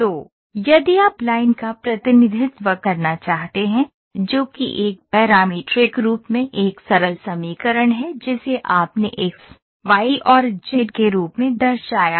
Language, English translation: Hindi, So, if you want to draw represent line, which is this is a simple equation in a parametric form you represented as X, Y and Z